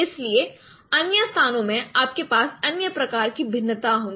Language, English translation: Hindi, So in other locations you will have other kind of variation